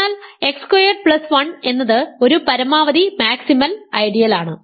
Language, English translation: Malayalam, So, x squared plus 1 is a maximal idea